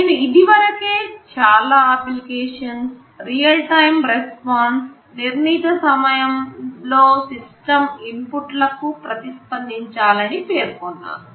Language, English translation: Telugu, I mentioned many applications demand real time response; within a specified time, the system should respond to the inputs